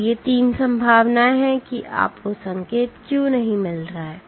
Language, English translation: Hindi, So, these 3 are the possibilities why you may not be getting the signal